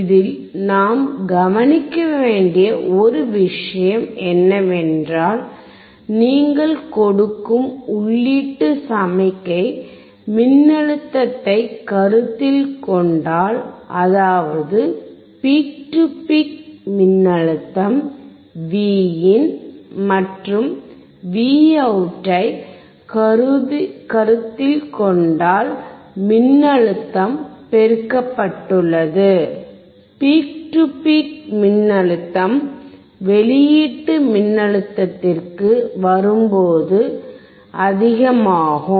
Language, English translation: Tamil, One thing that we have to notice in this particular circuit is that the input signal that you are applying if you consider the voltage peak to peak voltage Vin and Vout, the voltage has been amplified; peak to peak voltage is higher when it comes to the output voltage